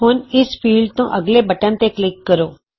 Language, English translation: Punjabi, Now, click on button next to this field